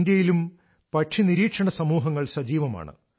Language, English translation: Malayalam, In India too, many bird watching societies are active